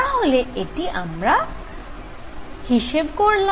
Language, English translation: Bengali, So, this we have calculated